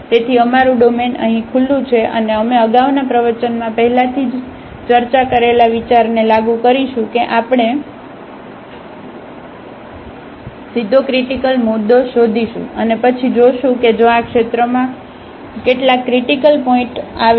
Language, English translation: Gujarati, So, our domain is open here and we will apply the idea which is discussed already in the previous lecture that we will find directly, the critical point and then we will see that if some of the critical points fall in this region